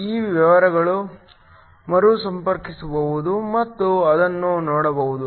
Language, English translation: Kannada, These carriers can then recombine and see that